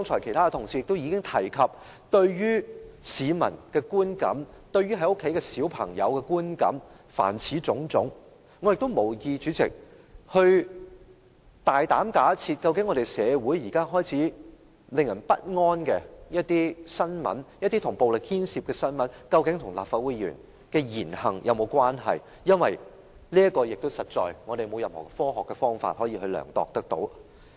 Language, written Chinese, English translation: Cantonese, 其他同事剛才已提出有關市民的觀感、對孩子的影響等種種問題，我無意大膽假設社會現時開始出現的一些令人不安、牽涉暴力的新聞，究竟跟立法會議員的言行有沒有關係，因為這實在也沒有任何科學的方法可作量度。, Other colleagues have also brought up many other issues just now such as public perception the influence produced on children and so on . I have no intention to make a bold assumption and assert whether or not the words and deeds of Legislative Council Members have anything to do with certain disturbing news which have started to emerge in our community and which involve violence . Indeed there is no scientific method available for finding out the relationship between them